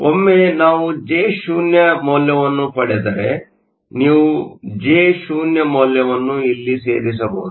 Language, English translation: Kannada, Once we get the value of Jo, you can put the value of Jo here